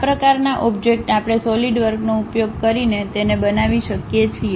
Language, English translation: Gujarati, That kind of objects we can construct it using Solidworks